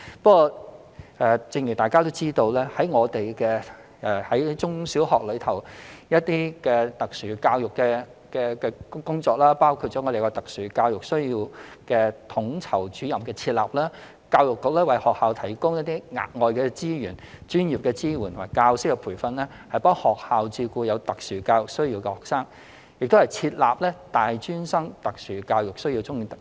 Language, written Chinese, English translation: Cantonese, 不過正如大家知道，我們在中小學的特殊教育工作，包括設立特殊教育需要統籌主任；教育局為學校提供額外資源、專業支援及教師培訓，協助學校照顧有特殊教育需要的學生，以及設立大專生特殊教育需要津貼等。, As you know however our efforts in support of special education in primary and secondary schools include the establishment of the post of Special Educational Needs Coordinator the provision of additional resources professional support and teacher training to schools by the Education Bureau to help them cater for students with special educational needs offering subsidies to tertiary students with special educational needs etc